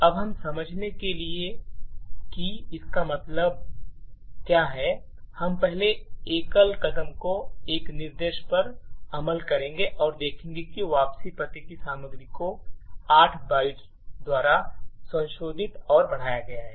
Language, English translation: Hindi, Now to understand what this means we would first single step execute a single instruction and see that the contents of the return address has been modified and incremented by 8 bytes